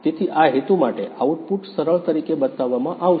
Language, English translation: Gujarati, So, for this purpose, the output will be shown as a smooth